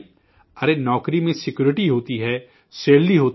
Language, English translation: Urdu, There is security in the job, there is salary